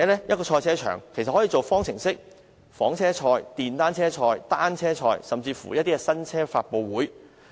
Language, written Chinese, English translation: Cantonese, 一個賽車場可以用作舉行方程式賽事、房車賽、電單車賽、單車賽，甚至新車發布會。, A motor racing circuit can be used to hold Formula races saloon races motor cycle races bicycle races and even new car launches